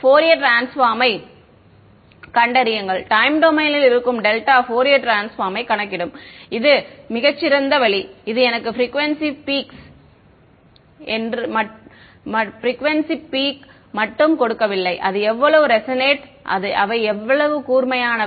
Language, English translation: Tamil, Find out the Fourier transform I have the time domain in the delta calculate the Fourier transforms that is the much smarter way it will give me not just the frequency peaks, but also how resonate they are how sharp they are right